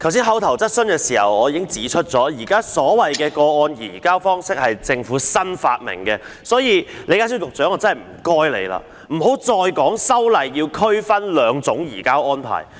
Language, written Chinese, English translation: Cantonese, 剛才在口頭質詢時，我已經指出現時所謂的個案移交方式是政府新發明的，所以，李家超局長，拜託你不要再說修例要區分兩種移交安排。, As I pointed out in an earlier oral question the so - called case - based surrender is something invented by the Government . So Secretary John LEE please stop saying that the legislative amendments will differentiate the two surrender arrangements